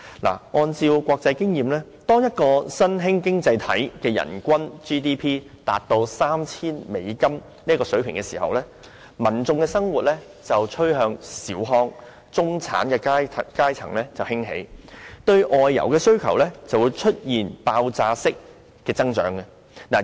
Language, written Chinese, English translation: Cantonese, 根據國際經驗，當一個新興經濟體的人均 GDP 達 3,000 美元的水平時，民眾生活趨向小康，中產階層興起，對外遊的需求便會出現爆發式的增長。, According to international experience when the per capita GDP of an emerging economy reaches US3,000 its people will become better off in living and the middle class will emerge giving rise to an explosive growth in the demand for outbound travel . In the Asian region a number of emerging economies have actually appeared